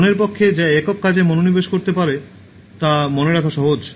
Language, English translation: Bengali, It is easy for the mind to remember when it can concentrate on one single task